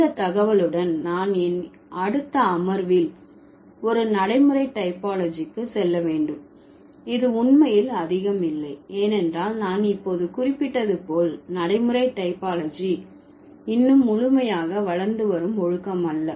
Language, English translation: Tamil, So, with this information, I would move to pragmatic typology in my next session and which doesn't actually have much because as I just mentioned, pragmatic typology is not a fully grown discipline yet